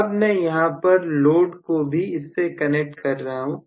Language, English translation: Hindi, So, now, I am connecting the load as well